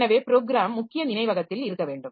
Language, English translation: Tamil, So, the program must be there in the main memory